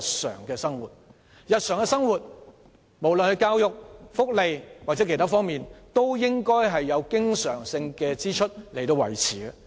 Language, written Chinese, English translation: Cantonese, 在日常生活中，無論是教育、福利或其他方面，均以經常性開支維持。, In our daily life education welfare and other areas are all supported by recurrent expenditure